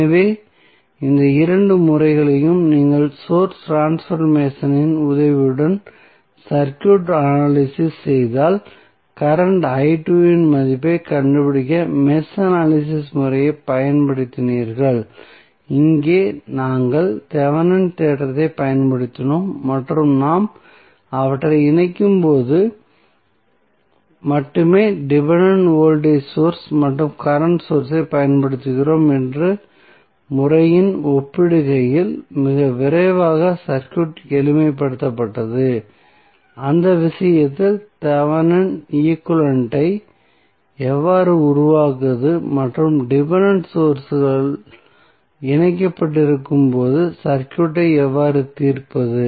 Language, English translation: Tamil, So, if you compare these two methods where you analyze the circuit with the help of source transformation and then you applied the mesh analysis method to find out the value of current i 2, here we used the Thevenin theorem and simplified the circuit very quickly as compare to the method where we were using the only the dependent voltage and current source when we connect them and how to create the Thevenin equivalent in that case and how to solve the circuit when we have dependent sources connected